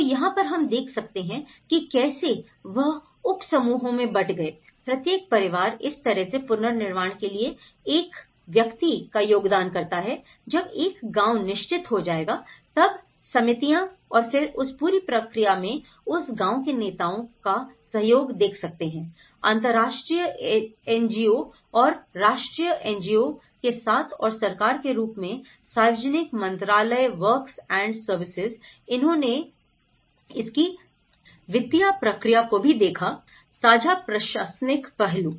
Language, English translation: Hindi, So, here, what one can look at it is; like here they channelled into subgroups, each family is going to contribute one person for the reconstruction that way, one village will form certain committees and then in that whole process, you can see that village leaders in collaboration with international NGO and the national NGO and as the government, the Ministry of Public Works and Services who also looked at the financial process of it, the shared administrative aspect